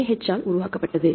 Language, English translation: Tamil, So, it is the developed by NIH